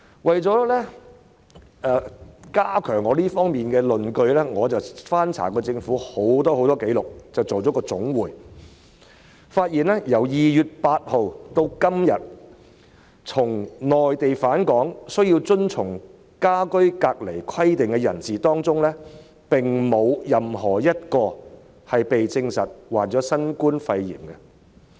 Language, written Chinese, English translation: Cantonese, 為了加強我在這方面的論據，我翻查了很多政府紀錄，並且作出總結，發現由2月8日至今，由內地返港需要遵從家居隔離規定的人士當中，並無任何一人證實患上新冠肺炎。, In order to strengthen my argument in this regard I have looked through government records and made a summary . I have found out that since 8 February of those who have returned to Hong Kong from the Mainland and were subject to the home - quarantine requirement not a single person has been confirmed to have contracted the novel coronavirus pneumonia